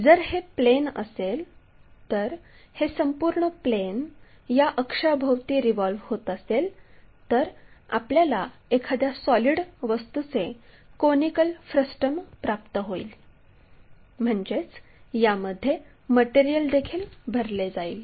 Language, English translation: Marathi, If, it is a plane this entire plane revolves around this axis, then we will get a conical frustum of solid object; that means, material will be filled inside also